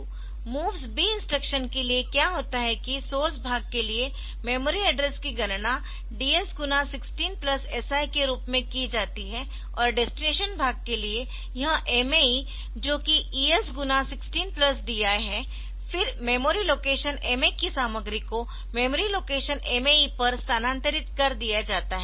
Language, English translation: Hindi, So, for the MOVS B instruction what happens is that the memory address is computed as DS into 16 plus SI for the source part for the destination part it is MA E which is ES into sixteen plus DI then ma the content of memory location MA is transferred to the memory location M MA E